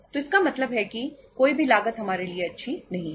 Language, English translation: Hindi, So it means either of the cost is not good for us